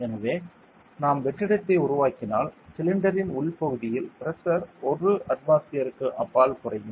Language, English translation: Tamil, So, the pressure inside the cylinder if we create a vacuum will decrease beyond 1atmosphere correct